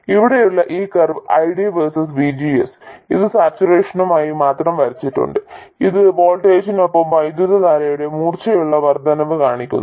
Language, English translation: Malayalam, And this curve here ID versus VGS I would want it only for saturation and it shows a sharp increase of current with voltage and as the voltage increases it becomes sharper and sharper